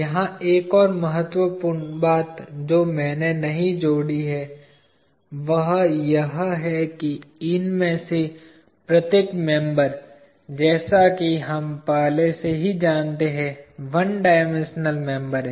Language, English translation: Hindi, Another important thing here that I have not added is, every one of these members as we already know are one dimensional members